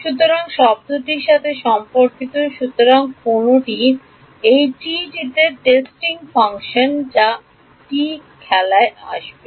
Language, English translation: Bengali, So, the term corresponding to, so which, in this T the testing function which T will come into play T